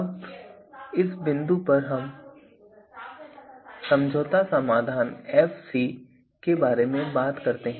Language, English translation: Hindi, Now, at this point let us also talk about the compromise solution Fc